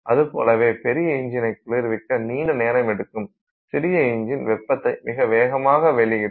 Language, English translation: Tamil, Large engine block will take long time to cool, small engine block will lose heat very fast